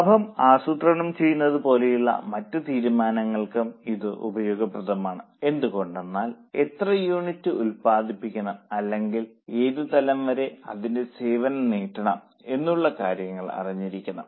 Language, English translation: Malayalam, It is also useful for other decisions like profit planning because entity should know how much units it should produce or up to what level it should extend its service